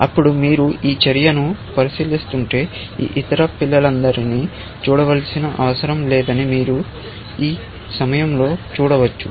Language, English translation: Telugu, Then, you can see at this moment that if you are considering this move, then there is no need to look at all these other children